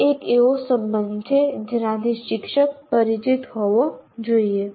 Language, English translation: Gujarati, That is a relationship that one should be, a teacher should be familiar with